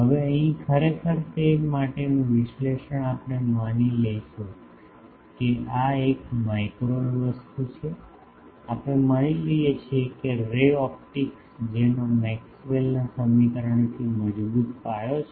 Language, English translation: Gujarati, Now, here actually the analysis for that we will assume that since, this is a microwave thing we assume that ray optics which has a strong foundation from Maxwell’s equation